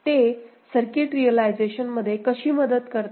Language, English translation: Marathi, How does it help in circuit realization